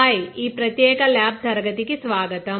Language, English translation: Telugu, Hi, welcome to this particular lab class